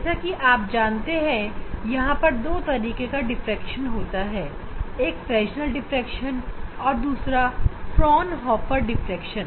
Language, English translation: Hindi, You know this there are two types of diffraction one is Fresnel s diffraction, and another is Fraunhofer diffractions